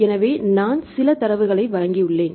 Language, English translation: Tamil, So, I have gave some of the data